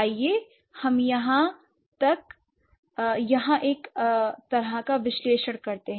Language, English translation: Hindi, Let's have a, let's do a kind of analysis here